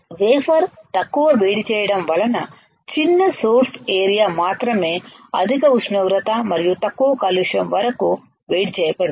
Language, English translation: Telugu, Less heating to the wafer right has only small source area is heated to a very high temperature and less contamination